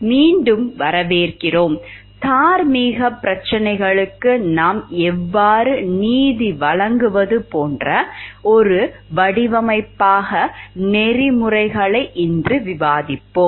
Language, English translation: Tamil, Welcome back, today we will discuss the Ethics as a design like how do we do justice to moral problems